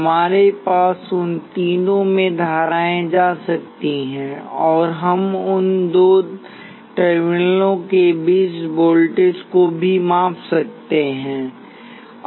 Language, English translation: Hindi, We can have currents going into all three of them, and we can also measure the voltages between any two of those terminals